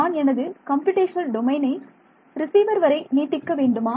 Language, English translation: Tamil, Should I expand my computational domain to go all the way to the receiver